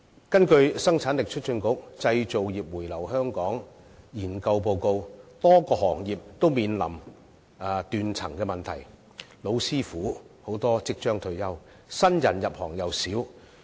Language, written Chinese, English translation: Cantonese, 根據香港生產力促進局的《製造業回流香港研究報告》，多個行業均面臨斷層問題，很多"老師傅"即將退休，入行的新人又少。, According to the Study Report on Relocation of Operations Back to Hong Kong for Manufacturing Industries published by the Hong Kong Productivity Council a number of industries are plagued by a succession gap as many old hands in the industries are about to retire but newcomers are few